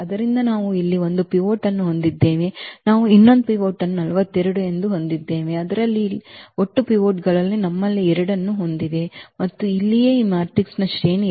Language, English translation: Kannada, So, we have one pivot here, we have another pivot as 42, so, the total pivots here we have 2 and that is what the rank here is of this matrix is 2